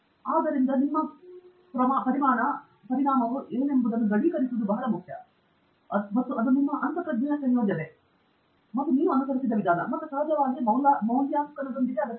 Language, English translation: Kannada, So, that conviction of what your result has is very important and that requires a combination of your intuition, and of course, a procedure that you have followed, and of course, with validation